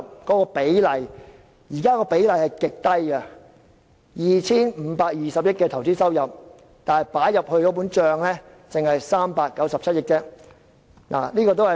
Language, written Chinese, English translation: Cantonese, 現時相關比例極低，在 2,520 億元的投資收入中，只有397億元撥入政府帳目。, At present the relevant ratio is extremely low where in the 252 billion investment income only 3.91 billion is allocated to the Governments accounts